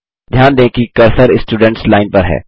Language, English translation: Hindi, Notice that the cursor is in the Students Line